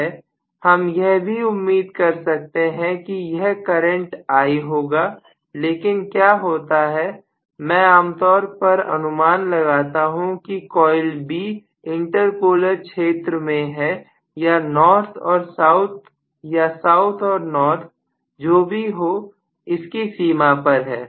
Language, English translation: Hindi, Now I should also expect that this current will be I but what happens is I normally anticipate that coil B is in the inter polar region or in the border between north and south and south and north or whatever